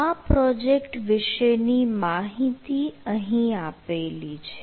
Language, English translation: Gujarati, so information about the project will be listed here